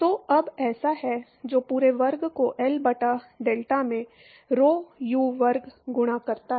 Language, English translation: Hindi, So, now so, that is rho u square into delta by L the whole square